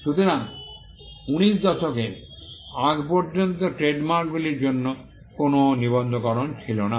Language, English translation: Bengali, So, till the 19th century there was no registration for trademarks